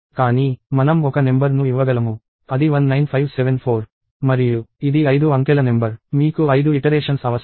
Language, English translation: Telugu, But, I could give a number, which is 19574 and this would be a five digit number; you need five iterations